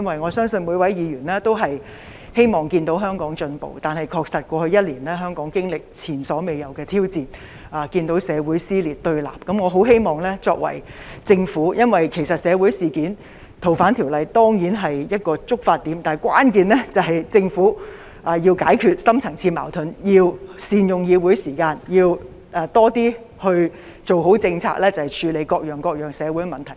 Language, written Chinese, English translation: Cantonese, 我相信每位議員也希望看到香港進步，但在過去一年，香港確實經歷前所未有的挑戰，我們看到社會撕裂對立，《逃犯條例》固然是今次社會事件的一個觸發點，但關鍵在於政府要解決深層次矛盾，要善用議會時間，要多些做好政策，處理各樣社會問題。, We saw Hong Kong become divided and polarized . It is true that the proposed amendment to the Fugitive Offenders Ordinance was a trigger to the social incident . However the crux of the matter lies in the fact that the Government needs to resolve the deep - rooted conflicts and make good use of Council meeting time to formulate more good policies in order to address different social problems